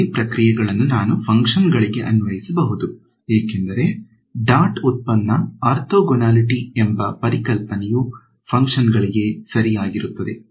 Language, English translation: Kannada, The same process I can apply to functions because, the concept of dot product orthogonality holds to a functions also right